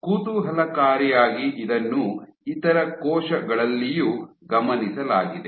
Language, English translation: Kannada, Interestingly so this has been observed in other cells also